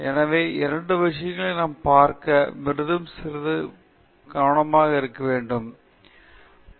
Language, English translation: Tamil, So, these are two things that we will look at and highlight a little bit more